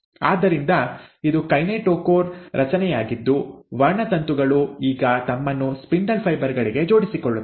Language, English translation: Kannada, So this is the kinetochore structure with which the chromosomes will now attach themselves to the spindle fibres